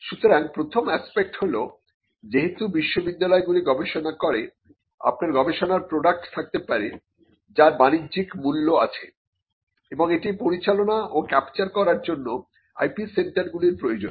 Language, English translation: Bengali, So, the first aspect is because universities do research you may have products of research that could have commercial value and you need IP centres to manage and to capture that